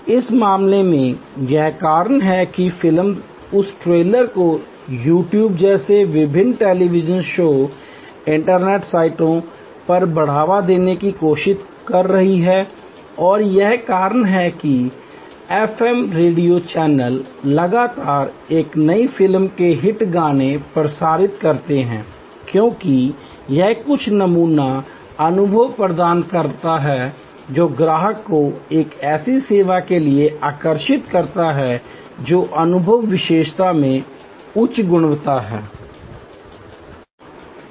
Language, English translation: Hindi, In this case that is why movie is try to promote that trailers to various television shows and internet sites like YouTube and so on that is why the FM radio channels continuously broadcast the hit songs of a new movie, because it provides some sample experience that attracts the customer to a service which is heavy with high in experience attribute